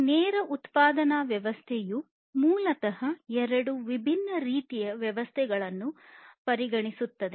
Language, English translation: Kannada, So, this lean production system has basically considerations of two different types of systems that were there